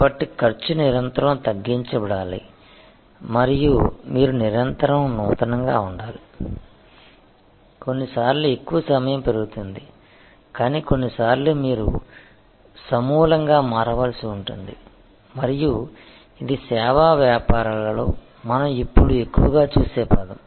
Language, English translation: Telugu, So, cost must be continuously lowered and you must continuously innovate, sometimes most of the time incremental, but sometimes you may have to radically change and this is the trajectory that we see now in service businesses more and more